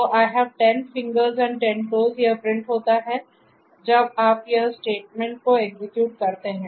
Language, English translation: Hindi, So, I have 10 fingers and 10 toes is what is going to be printed if you execute this particular statement